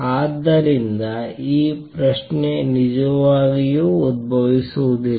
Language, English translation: Kannada, So, this question does not really arise